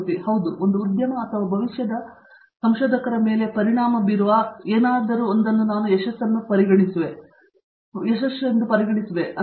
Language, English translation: Kannada, Yeah, I would say anyone who can make an impact on either an industry or the future researchers, is what I would consider it as a success